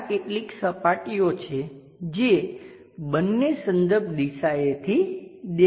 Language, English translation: Gujarati, There are certain surfaces which can be visible on both the reference directions